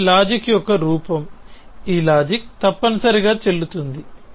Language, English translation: Telugu, It is form of reasoning this form of reasoning is valid essentially